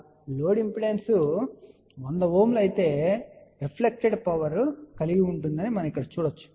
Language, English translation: Telugu, So that means, you can see here if load impedance is 100 Ohm , we are going to have a this much of a reflected power